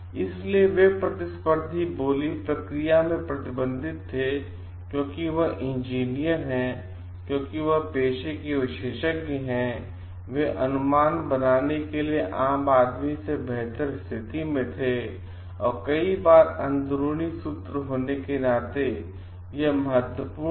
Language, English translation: Hindi, So, they were restricted in competitive bidding, because there is engineers because as experts in the profession, they were in a better position than lay mans to make the right estimates and many times being insiders it was like important